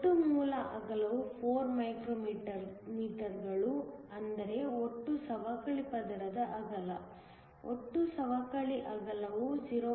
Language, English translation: Kannada, The total base width is 4 micrometers, the total depletion layer width; total depletion width is nothing but 0